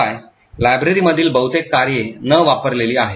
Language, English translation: Marathi, Furthermore, most of the functions in the library are unused